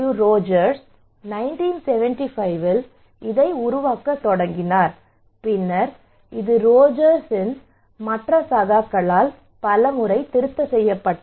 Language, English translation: Tamil, Rogers in 1975 started to develop this one and also then it was later on revised by other colleagues of Rogers